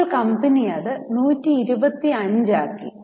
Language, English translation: Malayalam, Now, company has made it at 125